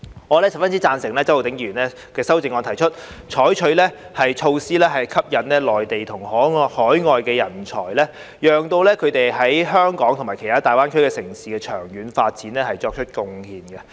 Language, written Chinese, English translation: Cantonese, 我十分贊成周浩鼎議員的修正案，提出採取措施吸引內地及海外人才，讓他們為香港及其他大灣區城市的長遠經濟發展作出貢獻。, I very much agree with Mr Holden CHOWs amendment which proposes to adopt measures to attract Mainland and overseas talents so that they can contribute to the long - term economic development of Hong Kong and other cities in GBA